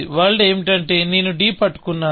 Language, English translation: Telugu, The world is, I am holding d